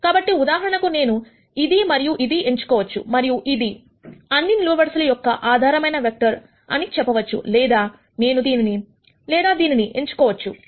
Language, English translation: Telugu, So, for example, I could choose this and this and say, this is the basis vector for all of these columns or I could choose this and this and this or this and this and so on